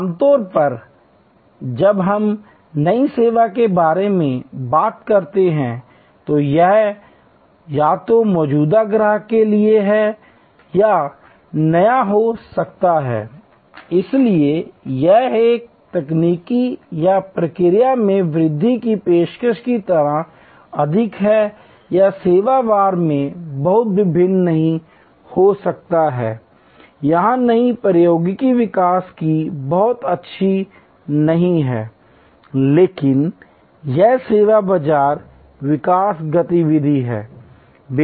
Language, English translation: Hindi, Normally, when we talk about new service it can therefore, either be new to the existing customers, so this is the more like a technological or process enhanced offering or it can be service wise not very different not much of new technology development here, but it say market development activity service market development activity